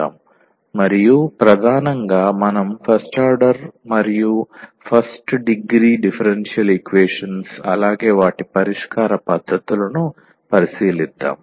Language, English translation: Telugu, Today will be talking about this First Order Differential Equations, and mainly we will consider first order and the first degree differential equations and their solution techniques